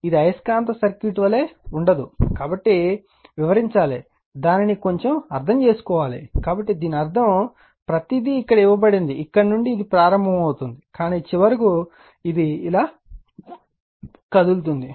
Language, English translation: Telugu, This did not much we will just as is a magnetic circuit, so you have to explain, then you have to your what you call little bit understand on that, so that means, everything is given here, that from here it will start, but finally, it will move like this right